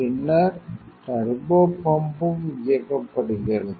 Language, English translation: Tamil, Then turbopump is also on